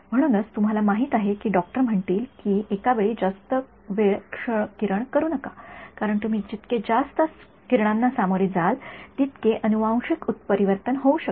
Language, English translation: Marathi, So, that is why doctors will say do not get too many X rays done you know you know given period of time, because the more you expose to X rays the more the genetic mutation can happen